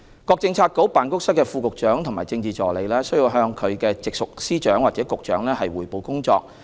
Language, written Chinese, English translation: Cantonese, 各政策局/辦公室的副局長和政治助理須向其直屬司長或局長匯報工作。, Deputy Directors of Bureau and Political Assistants of all bureauxoffices are required to report their work to their respective Secretaries of Department or Directors of Bureau